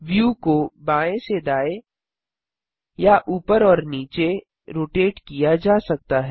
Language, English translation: Hindi, The view rotates left to right and vice versa